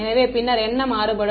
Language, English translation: Tamil, So, then what will the contrast become